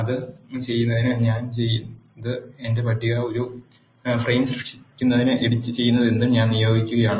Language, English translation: Malayalam, To do that what I have done is I am assigning whatever that is being edited into create a frame my table